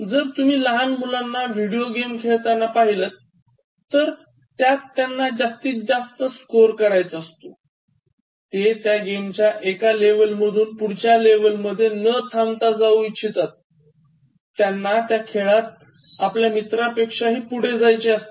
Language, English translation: Marathi, If you see small kids playing video games, whatever game it is, they want to score more points, they want to go to one level after another level and they want to appear as the person who has achieved the maximum compared to his friends